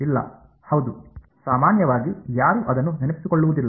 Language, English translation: Kannada, No yeah, no one usually remember it